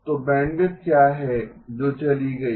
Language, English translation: Hindi, So what is the bandwidth that goes in